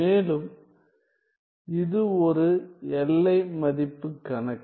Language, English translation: Tamil, Further since this is a boundary value problem